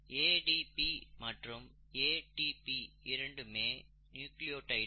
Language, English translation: Tamil, It so happens that ADP and ATP are nucleotides